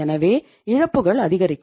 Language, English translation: Tamil, So the loses will increase